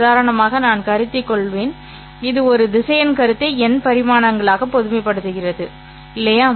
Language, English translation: Tamil, As for the first example that I will consider, this is a generalization of the concept of a vector into n dimensions